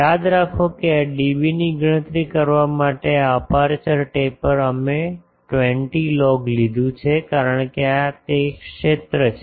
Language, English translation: Gujarati, Remember that this aperture taper to calculate this dB we have taken a 20 log because this is the field